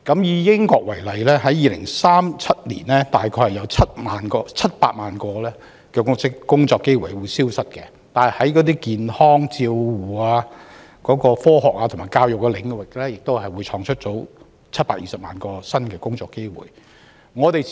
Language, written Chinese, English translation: Cantonese, 以英國為例 ，2037 年大概會有700萬個工作機會消失，但在健康照護、科學及教育領域會創造出720萬個新的工作機會。, In the United Kingdom for instance about 7 million job opportunities will disappear in 2037 but 7.2 million new job opportunities will be created in the areas of health care science and education